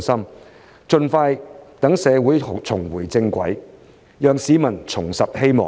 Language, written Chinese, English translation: Cantonese, 我們必須盡快讓社會重回正軌，讓市民重拾希望。, We have to put Hong Kong back on the right track and rekindle hope for the community as soon as possible